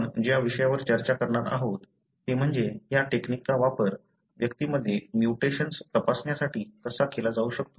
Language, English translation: Marathi, So, what we are going to discuss is how this technique can be used to screen for mutations in the individuals